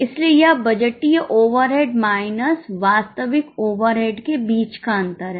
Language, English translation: Hindi, That is why it is a difference between budgeted overhead minus actual overhead